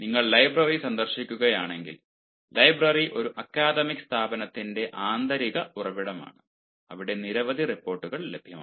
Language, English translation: Malayalam, ah, library also is an internal source of an academic institution where you will find there are several reports available